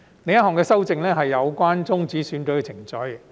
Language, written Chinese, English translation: Cantonese, 另一項修正案是有關終止選舉程序。, Another amendment concerns the termination of election proceedings